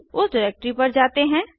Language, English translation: Hindi, Lets go to that directory